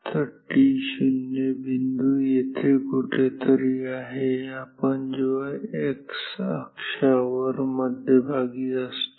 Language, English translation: Marathi, So, this is point t 0 t 1 somewhere here no t 1 is here when we are at the centre from according to the on the x axis